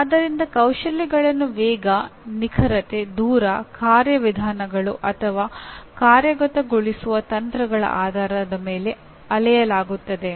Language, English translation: Kannada, So the skills are measured in terms of speed, precision, distance, procedures, or techniques in execution